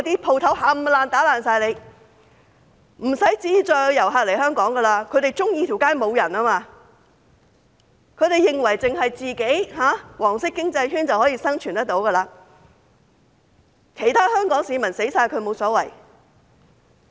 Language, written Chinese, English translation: Cantonese, 不會再有遊客來香港，他們喜歡街上沒有人，他們認為只要有"黃色經濟圈"便可以生存，其他香港市民死光也無所謂。, They prefer empty streets . According to them it does not matter if all other Hong Kong people die as they can survive with just the yellow economic circle